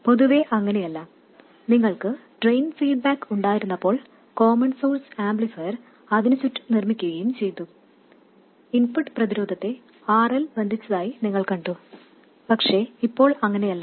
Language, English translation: Malayalam, When you had a drain feedback and the common source amplifier was built around that, you saw that the input resistance was affected by RL, but now it is not